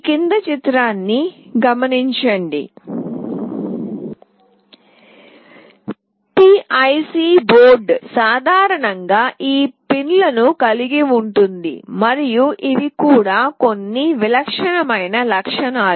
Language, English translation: Telugu, PIC board typically consists of these pins and these are some typical features